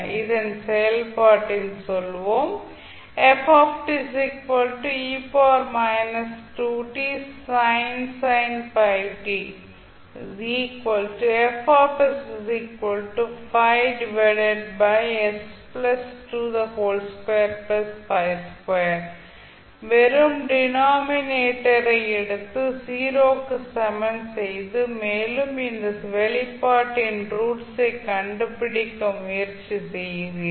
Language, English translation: Tamil, You will simply take the denominator and equate it to 0 and you try to find out the roots of this particular expression